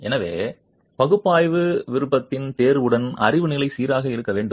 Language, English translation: Tamil, So, knowledge level with the choice of analysis option must be consistent